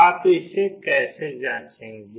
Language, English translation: Hindi, How will you check that